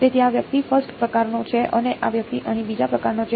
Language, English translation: Gujarati, So, this guy is the first kind and this guy is the second kind over here ok